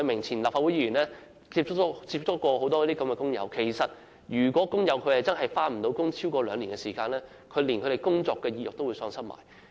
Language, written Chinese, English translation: Cantonese, 前立法會議員葉偉明接觸過很多這類工友，發現如果他們無法工作超過兩年，便連工作意欲也會喪失。, Former legislator Mr IP Wai - ming had contacts with many of these workers . He found that if workers could not get back to work for more than two years they would lose the motivation to work